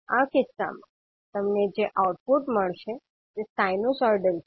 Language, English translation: Gujarati, The output which you will get in this case is sinusoidal